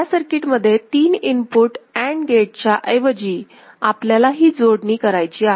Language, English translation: Marathi, So, in the circuit, in this place instead of 3 input AND gate, we shall put one of this connection right